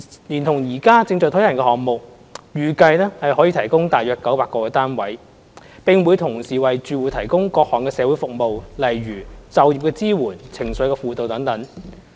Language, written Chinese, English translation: Cantonese, 連同現時正在推行的項目，預計可以提供約900個單位，並會同時為住戶提供各項社會服務，例如就業支援、情緒輔導等。, It is expected that together with the projects now being launched about 900 housing units can be provided together with various social services such as job placement and counselling